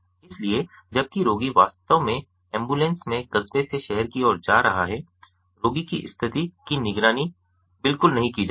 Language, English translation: Hindi, so while the patient is actually going from the town to the city in the ambulance, the condition of the patient is not monitored at all